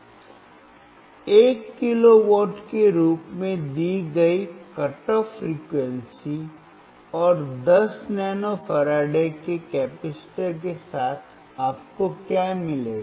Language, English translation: Hindi, With a cut off frequency given as 1 kilohertz and a capacitor of 10 nano farad what you will get